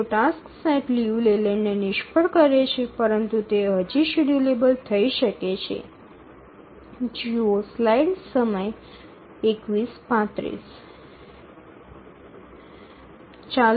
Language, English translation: Gujarati, And we need to check if a task set fails Liu Leyland but still it is schedulable